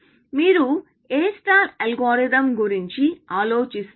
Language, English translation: Telugu, What do you have to say about this algorithm